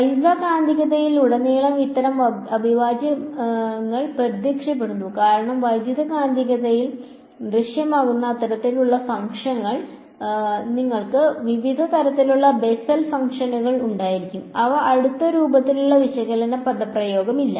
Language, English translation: Malayalam, These kind of integrals they appear throughout electromagnetics because, the kinds of functions that appear in electromagnetics you will have Bessel functions of various kinds, they do not have any close form analytical expression